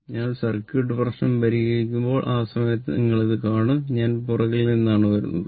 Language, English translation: Malayalam, When we will solve the circuit problem, at that time you will see into this I just came from the back right